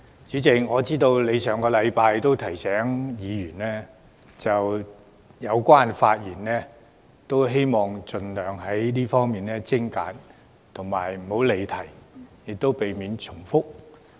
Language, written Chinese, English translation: Cantonese, 主席，你上星期已提醒委員發言要盡量精簡及不要離題，亦要避免重複。, Chairman you reminded Members last week that we should be as concise as possible avoid straying from the question under debate and repetition when we spoke